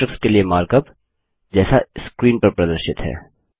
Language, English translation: Hindi, The markup for the matrix is as shown on the screen